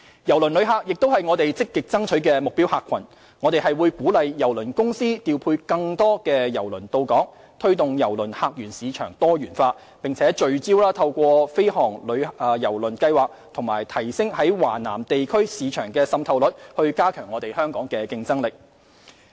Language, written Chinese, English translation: Cantonese, 郵輪旅客亦是我們積極爭取的目標客群，我們會鼓勵郵輪公司調配更多郵輪到港，推動郵輪客源市場多元化，並聚焦透過飛航郵輪計劃及提升在華南地區市場的滲透率以加強香港的競爭力。, Cruise tourists are also among our actively pursued prime targets . We will incentivize cruise lines to deploy more cruise ships to berth at Hong Kong supporting diversification of cruise passenger source markets and enhancing Hong Kongs competitiveness through focusing on the fly - cruise programme and enhancement to market penetration in Southern China